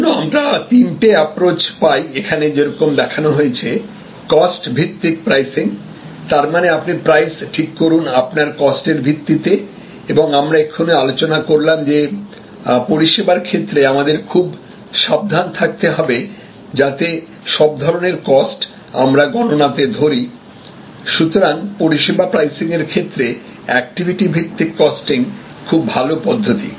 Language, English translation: Bengali, And as because of that, we get these three main approaches as shown here, cost based pricing; that means, set prices related to your costs and we discussed just now that in services one has to be very careful to measure all the different costs and so activity based costing is a very good way of looking at service pricing